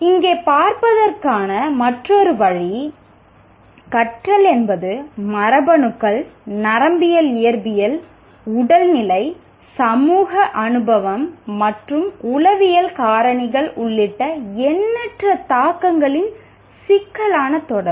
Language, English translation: Tamil, Another way of looking at this is a complex interaction of myriad influences including genes, neurophysiology, physical state, social experience and psychological factors